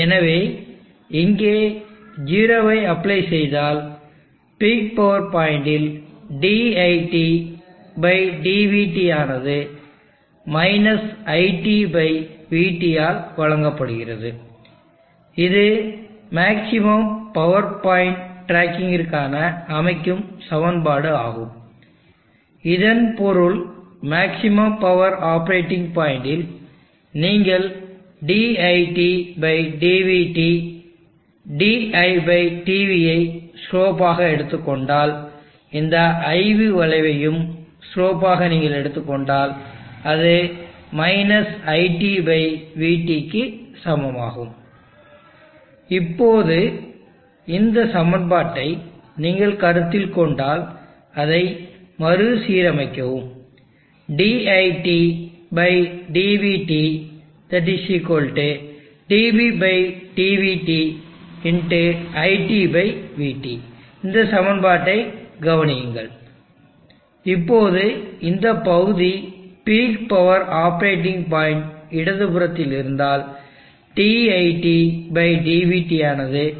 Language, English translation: Tamil, And therefore, applying 0 here, you will see that dit/dvt at the peak power point is given by minus IT/VT, this is the constituting equation, for maximum power point tracking, which means that at maximum power point operating point, you will find that if you take the slope of the dit/dvt di/dv, if you take slope of this IV curve, that will be equal to IT/VT minus of the ratio of I and V